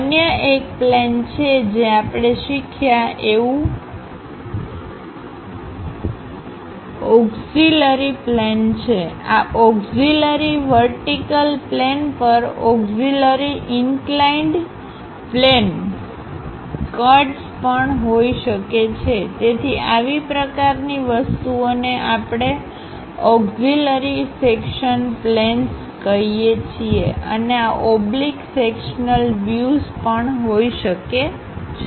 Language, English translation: Gujarati, The other one is the planes what we have learned like auxiliary planes; on these auxiliary vertical plane, auxiliary inclined planes also we can have cuts; so, such kind of things are what we call auxiliary section planes and also one can have oblique sectional views also